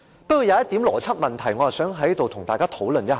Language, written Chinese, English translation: Cantonese, 不過，有一個邏輯問題，我想在此跟大家討論一下。, However there is an issue about logic that I would like to discuss here